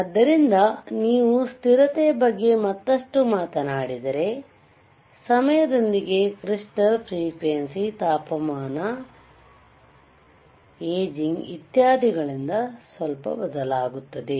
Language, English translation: Kannada, So, if you talk about stability further, the frequency of the crystal tends to change stability change slightly with time due to temperature, aging etcetera